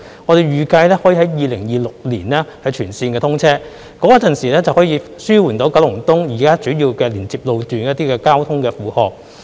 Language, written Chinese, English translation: Cantonese, 我們預計六號幹線可於2026年全線通車，屆時可以紓緩九龍東現有主要連接路段的一些交通負荷。, We anticipate that Route 6 will be fully open to traffic by 2026 relieving some of the traffic burden on the existing major road links in Kowloon East